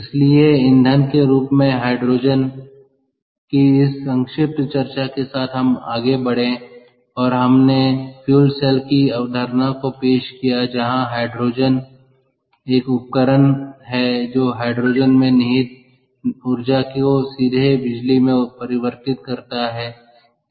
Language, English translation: Hindi, so with that brief discussion at hydrogen as fuel, we moved on to and we introduce the concept of fuel cells, where hydrogen, which is a device that cons, that converts the energy trapped in hydrogen directly into electricity